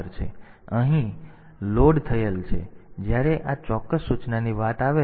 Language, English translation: Gujarati, So, this is loaded here; so, when it comes to this particular instruction